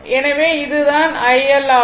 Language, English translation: Tamil, So, this is your v into i